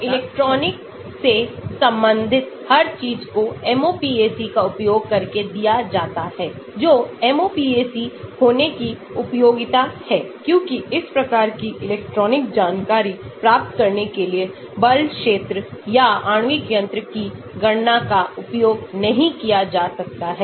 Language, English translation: Hindi, So, everything that is related to electronic is given using MOPAC that is the usefulness of having MOPAC because the force field or molecular mechanics calculations cannot be used for getting these type of electronic information